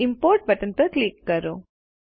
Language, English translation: Gujarati, Now click on the Import button